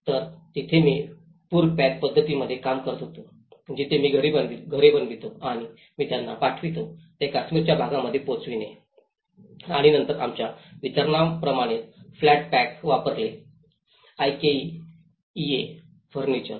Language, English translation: Marathi, So, there I was working in the flood pack approaches where I was designing the houses getting them made and where I was sending them, to shipping them to the Kashmir part of Kashmir and then shipping flat pack up using the flat pack approaches like we delivered the IKEA furniture